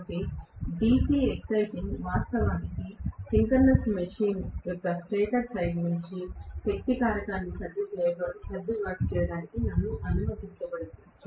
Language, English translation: Telugu, So the DC excitation actually is going to allow me to adjust the power factor of the stator side of a synchronous machine